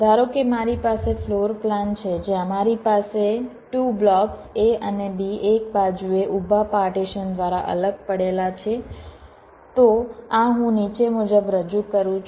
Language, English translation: Gujarati, suppose i have a floorplan where i have two blocks, a and b, placed side by side, separated by a vertical partitions